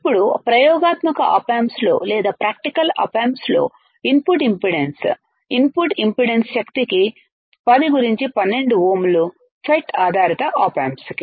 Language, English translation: Telugu, Now, in experimental op amps or in practical op amps, what we will see that the input impedance, input impedance is about 10 to the power 12 ohms right for FET based op amps, for FET based op amps